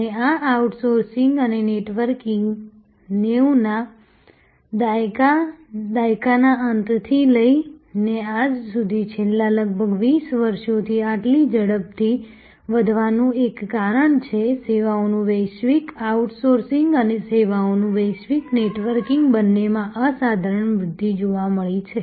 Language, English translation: Gujarati, And one of the reasons why this outsourcing and networking grew so rapidly from the end of 90’s till today for the last almost 20 years, the global outsourcing of services and global networking of services have both seen phenomenal growth